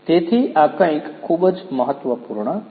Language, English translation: Gujarati, So, this is something very important